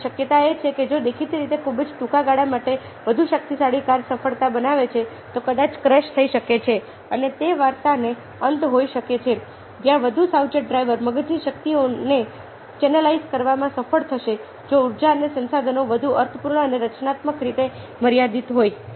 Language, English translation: Gujarati, now, the possibility is that ah, although apparently for a very short period of time, the more powerful car might show success, it might crash and that might be the end of the story where, as a more careful driver will succeed in channelizing the energies of the brain, even the, if the energies and resources are limited, in a more meaningful and constructive way